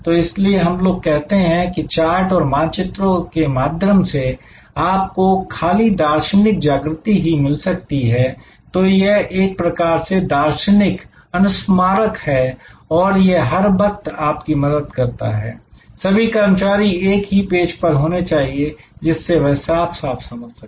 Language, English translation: Hindi, So, that is why we say charts and map can facilitate visual awakening, so it is kind of a visual reminder it is all the time it helps all the employees to be on the same page at to understand very clearly